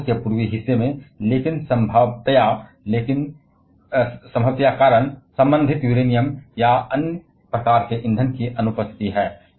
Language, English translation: Hindi, Or in the eastern part of Russia, but the feasible reason being the absence of corresponding Uranium or other kind of fuels